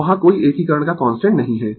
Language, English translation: Hindi, So, there is no constant of your of integration right